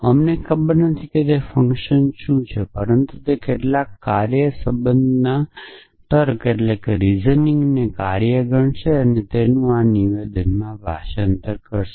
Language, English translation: Gujarati, We do not know what that function is, but it some function as for as reasoning in concerned will treated as a function and translate this into this statement